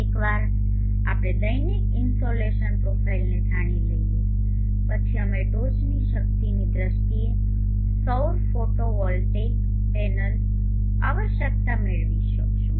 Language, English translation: Gujarati, Once we know the daily insulation profile, we will be able to derive the solar photovoltaic panel requirement in terms of peak power